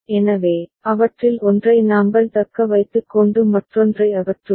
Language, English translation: Tamil, So, we retain one of them and eliminate the other